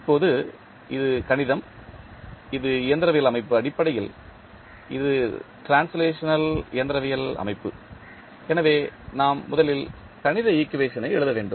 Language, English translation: Tamil, Now, this mathematical, this mechanical system, the basically this is translational mechanical system, so we have to first write the mathematical equation